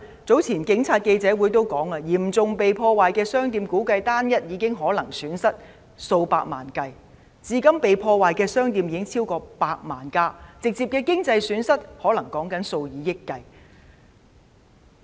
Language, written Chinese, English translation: Cantonese, 早前警察記者會也指出，對於被嚴重破壞的商店，估計有單一店鋪損失達數百萬元，至今被破壞的店鋪已超過100間，直接的經濟損失可能是數以億元計。, Some time ago the Police pointed out at a press conference that for shops damaged seriously there was a case in which a single shop suffered a loss estimated to reach several millions of dollars . So far over 100 shops have been damaged and the direct economic loss thus incurred may add up to hundreds of millions of dollars